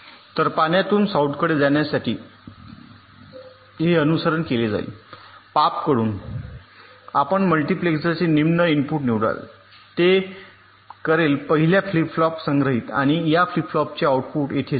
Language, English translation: Marathi, so for going from s into s out, the path followed will be this: from s in, you select the lower input of the multiplexor, it will the stored in the first flip flop and the output of this flip flop will go out